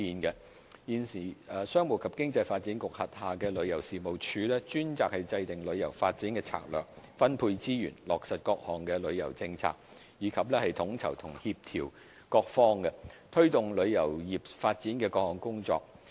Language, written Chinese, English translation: Cantonese, 現時，商務及經濟發展局轄下的旅遊事務署專責制訂旅遊發展策略，分配資源，落實各項旅遊政策，以及統籌和協調各方，推動旅遊業發展的各項工作。, At present TC of the Commerce and Economic Development Bureau is tasked with formulating strategies for tourism development allocating resources to implement various tourism initiatives as well as coordinating and collaborating with different parties in pushing ahead various work on tourism development